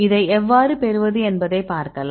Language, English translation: Tamil, I will show you how to get this one